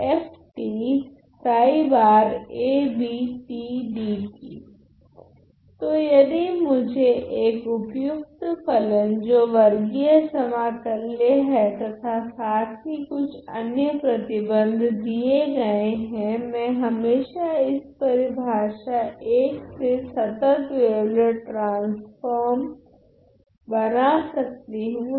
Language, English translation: Hindi, So, if I am given a suitable function which is square integrable and plus some other condition, I can always define my continuous wavelet transform by this definition I ok